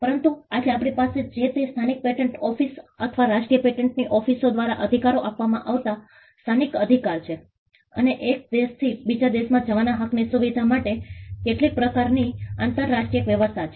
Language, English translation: Gujarati, But all that we have today is local rights granted by the local patent office, Domestic or National Patent Offices granting the rights; and some kind of an international arrangement to facilitate rights moving from one country to another